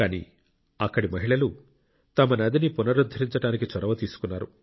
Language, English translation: Telugu, But, the womenfolk there took up the cudgels to rejuvenate their river